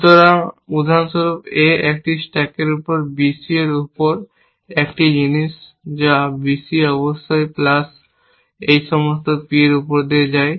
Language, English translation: Bengali, So, for example A on a stack B on C, one thing that gets on B C plus of course all these P, so it is growing monotonically, it is also